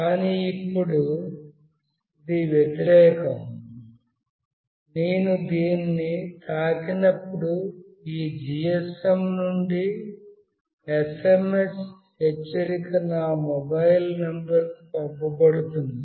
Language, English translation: Telugu, But now it is just the opposite, when I touch this an SMS alert from this GSM will be sent to my mobile number